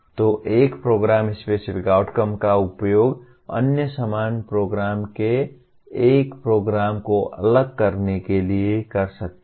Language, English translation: Hindi, So one can use the Program Specific Outcomes to differentiate a program from other similar programs